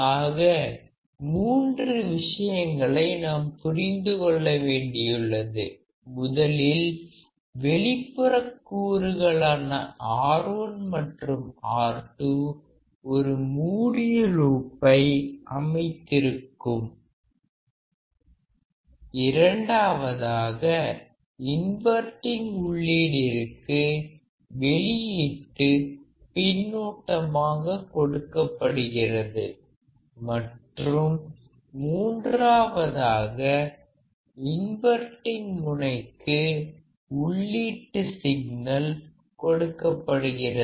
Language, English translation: Tamil, So, three things we have to understand external components R 1 and R 2 that forms a closed loop, second output is fed back to the inverting input and third is that input signal is applied to the inverting terminal